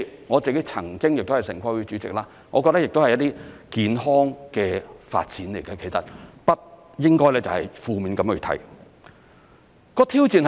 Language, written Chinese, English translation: Cantonese, 我曾經是城規會主席，我覺得這亦是一些健康的發展，不應該負面地去看。, As a former TPB chairman I consider this a healthy development and should not be viewed in a negative light